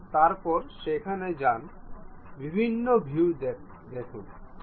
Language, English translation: Bengali, Then go there look at these different views